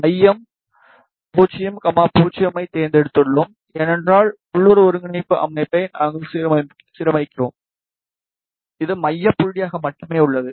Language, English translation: Tamil, Center we have selected 0, 0, because we align the local coordinate system, it is center point of via only